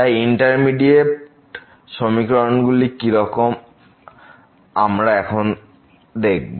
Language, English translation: Bengali, So, what are these indeterminate expressions; we will see now